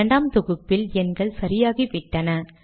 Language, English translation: Tamil, On second compilation the numbers become correct